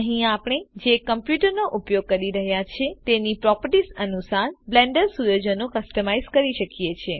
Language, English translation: Gujarati, Here we can customize the Blender settings according to the properties of the computer we are using